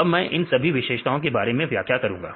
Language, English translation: Hindi, I will explain the details about all these features